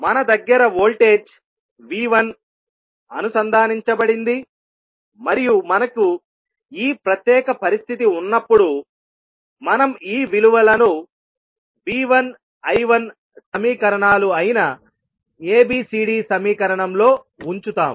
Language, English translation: Telugu, And when we have this particular condition we put these values in the ABCD equation that is V 1 I 1 equations